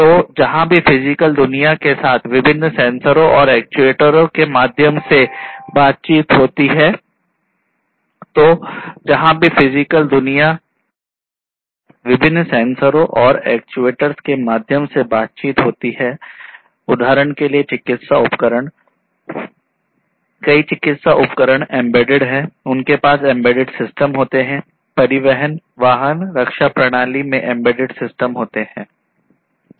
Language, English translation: Hindi, So, where there is interaction with the physical world, through different sensors and actuators examples of it would be medical instruments, many medical instruments are embedded you know they have embedded systems in them, transportation vehicles, defense systems many of these defense systems have embedded systems in them that